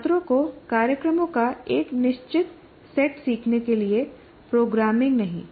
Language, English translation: Hindi, By making students learn a fixed set of programs, not programming